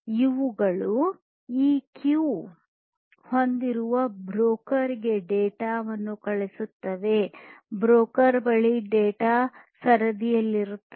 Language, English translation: Kannada, These will send the data to the broker which has this queue, where the data will be queued at the broker